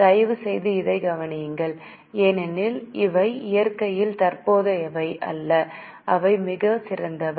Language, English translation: Tamil, Please note this because these are non current in nature that is very small